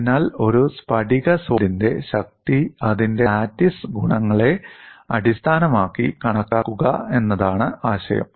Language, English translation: Malayalam, So, the idea is, estimate the strength of a crystalline solid based on its lattice properties